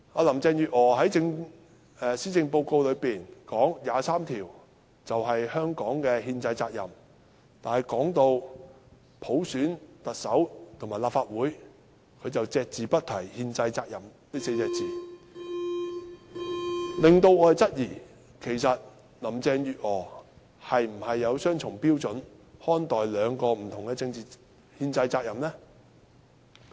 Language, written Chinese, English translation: Cantonese, 林鄭月娥在施政報告中表示，就《基本法》第二十三條立法，是香港的憲制責任，但說到普選特首和立法會時，卻隻字不提"憲制責任"這4個字，令我們質疑，其實林鄭月娥是否以雙重標準來看待兩項不同的憲制責任？, Carrie LAM stated in the Policy Address that it is the constitutional responsibility of Hong Kong to legislate for Article 23 of the Basic Law but when it comes to the selection of the Chief Executive and the Legislative Council by universal suffrage there is no mention of constitutional responsibility making us wonder whether Carrie LAM has actually applied double standards in treating two different constitutional responsibilities